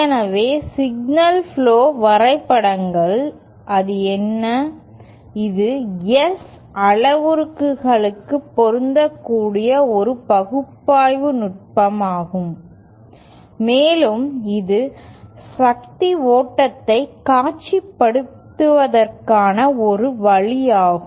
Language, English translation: Tamil, So, signal flow graphs, what is it, it is an analysis technique applicable to S parameters a means to and also it is a means to visualize the power flow